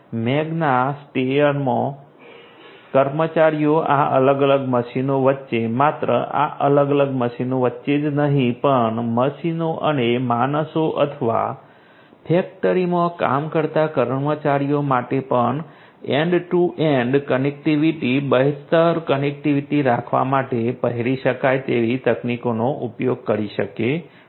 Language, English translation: Gujarati, In Magna Steyr the employees use wearable technologies in order to have end to end connectivity, improved connectivity, between these different machines, not only between these different machines but also the machines and the humans or the employees that are working in the factory